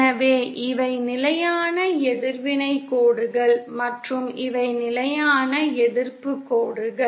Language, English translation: Tamil, So these are the constant reactants lines and these are the constant resistance lines